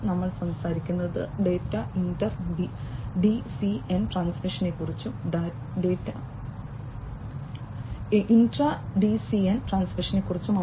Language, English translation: Malayalam, We are talking about data inter DCN transmission and intra DCN transmission